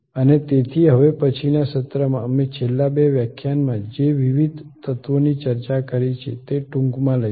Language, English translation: Gujarati, And so in the next episode, we will take up the different elements that we have discussed in the last 2 lectures in short